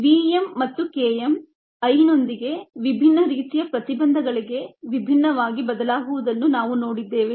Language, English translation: Kannada, you have seen that v m and k m change differently with i for different types of inhibitions